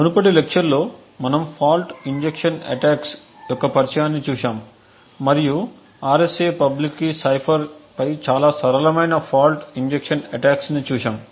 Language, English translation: Telugu, In the previous lecture we had actually looked at an introduction to fault injection attacks and we had seen a very simple fault injection attack on the RSA public key cipher